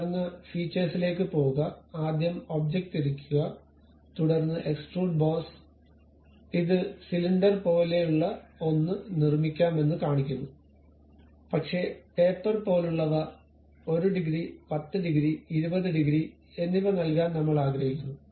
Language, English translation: Malayalam, Then go to Features; rotate the object first, then extrude boss it shows something like cylinder can be made, but I would like to give something like taper maybe 1 degree, 10 degree, 20 degree